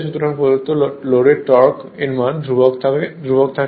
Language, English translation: Bengali, So, given that the torque of torque of the load is constant